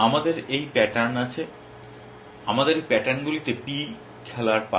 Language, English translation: Bengali, We have these pattern, we have these pattern turn to play p